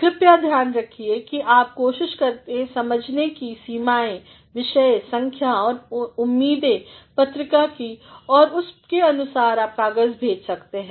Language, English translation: Hindi, Please see to it that you also try to understand the limitations, the theme, the volume and as well as the expectations of the journal and depending upon that you can send a paper